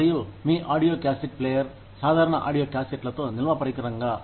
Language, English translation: Telugu, And, your audio cassette player, with regular audiocassettes, as the storage device